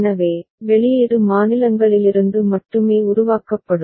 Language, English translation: Tamil, So, output will be generated solely from the states